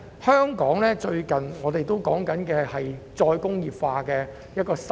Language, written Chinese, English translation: Cantonese, 香港最近正在討論再工業化。, Re - industrialization has been a hot topic in Hong Kong lately